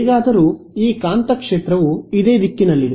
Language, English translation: Kannada, So, magnetic field anyway is in the same direction